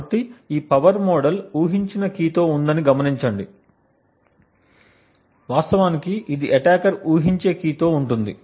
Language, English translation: Telugu, So, note that this power model is with a guessed key, this is with a key that the attacker actually guesses